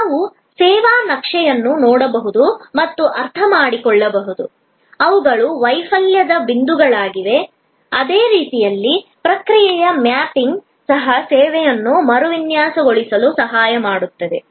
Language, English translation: Kannada, We can look at the service map and understand, which are the failure points, in the same way process mapping can also help us to redesign a service